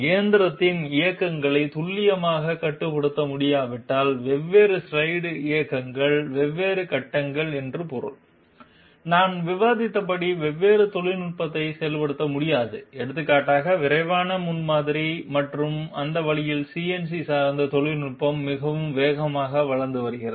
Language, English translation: Tamil, Unless the movements of the machine can be precisely controlled I mean the difference slides movements, different stages, we cannot have the implementation of different technology as I discussed for example rapid prototyping and that way CNC dependent technology is developing very fast